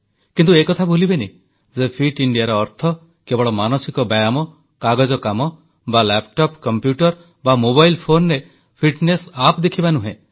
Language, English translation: Odia, But don't forget that Fit India doesn't mean just exercising the mind or making fitness plans on paper or merely looking at fitness apps on the laptop or computer or on a mobile phone